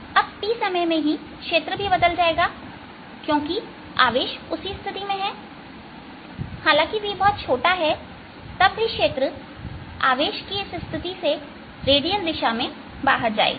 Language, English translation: Hindi, now in this same time t, since the charges in same position, the field also has change and v is very small though the field is going to be redial about this position of charge